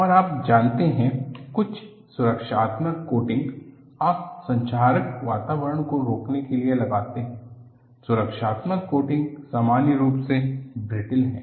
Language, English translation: Hindi, And you know, many protective coating, you put to prevent corrosive environment; the protective coatings are in general, brittle